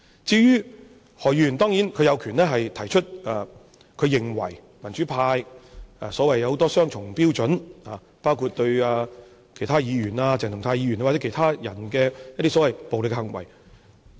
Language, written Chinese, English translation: Cantonese, 當然，何議員有權提出他認為民主派有很多雙重標準，包括對其他議員、鄭松泰議員或其他人的所謂暴力行為。, Of course Dr HO has the right to say he considers that the democrats have had many cases of double standards including the one towards the so - called violent behaviours of other Members Dr CHENG Chung - tai or other people